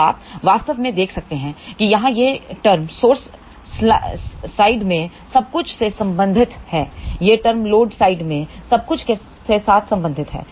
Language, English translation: Hindi, So, you can actually speaking see here this term is related to everything in the source side; this term is related everything to the load side